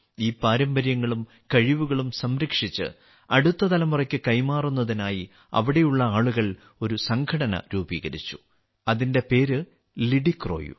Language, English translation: Malayalam, In order to save these traditions and skills and pass them on to the next generation, the people there have formed an organization, that's name is 'LidiCroU'